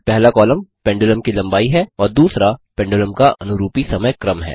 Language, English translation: Hindi, The first column is the length of the pendulum and the second is the corresponding time series of the pendulum